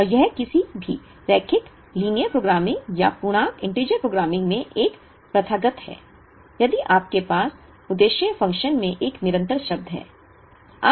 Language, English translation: Hindi, And, it is also a customary in any linear programming, or integer programming, that if you have a constant term in the objective function